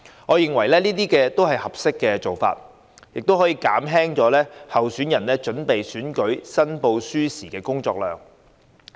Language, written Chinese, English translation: Cantonese, 我認為這些都是合適的做法，可以減輕候選人準備選舉申報書時的工作量。, I consider these amendments appropriate as they can alleviate the workload of candidates in preparing election returns